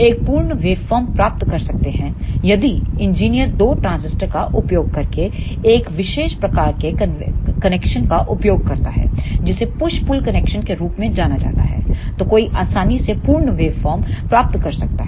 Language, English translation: Hindi, One can get the complete waveform if the engineer uses a special type of connection using two transistors that is known as the push pull connections, then one can easily get the complete waveform